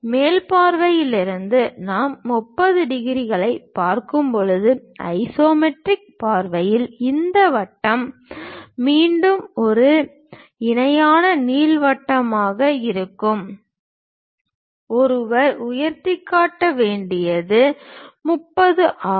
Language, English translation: Tamil, From top view this circle again in the isometric view when we are looking at 30 degrees, again that will be a parallel ellipse one has to construct at a height height is 30